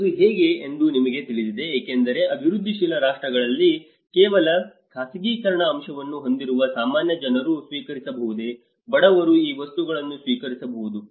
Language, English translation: Kannada, You know how it can be because in a developing countries only with the privatization aspect whether the common man can afford, the poor man can afford these things